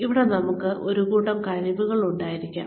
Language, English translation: Malayalam, We may have a set of skills here